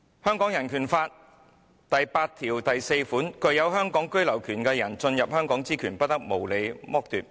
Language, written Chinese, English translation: Cantonese, 香港人權法案第八條第四款訂明："具有香港居留權的人進入香港之權，不得無理褫奪。, Article 84 of the Hong Kong Bill of Rights stipulates No one who has the right of abode in Hong Kong shall be arbitrarily deprived of the right to enter Hong Kong